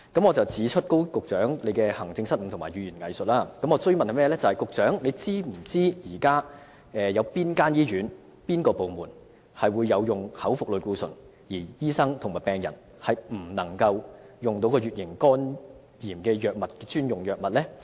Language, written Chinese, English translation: Cantonese, 我要指出高局長行政上的失誤和善於語言"偽術"，並想追問他是否知道現時有哪些醫院和部門有口服類固醇可供處方使用，但醫生和病人是不能取用乙型肝炎的專用藥物？, I have to point out the administrative blunders of Secretary Dr KO and the fact that he is good at weasel words and I wish to ask him if he knows that there are hospitals and clinics which allow the prescription of oral steroids but doctors and patients are not allowed to access specials drugs for hepatitis B?